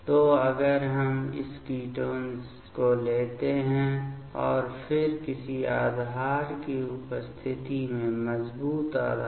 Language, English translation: Hindi, So, if we take this ketone and then in presence of some base; strong base